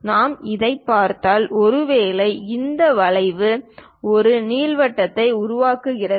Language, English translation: Tamil, If we are looking at this, perhaps this curve forms an ellipse